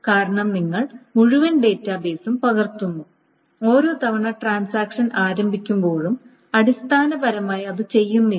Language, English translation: Malayalam, Because you are copying the entire database every time a transaction starts